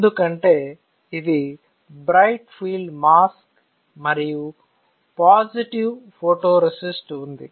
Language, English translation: Telugu, Now, because it is a bright field mask and there is a positive photoresist